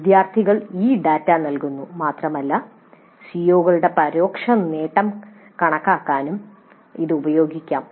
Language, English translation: Malayalam, The students provide this data and this can be used in computing indirect attainment of COs also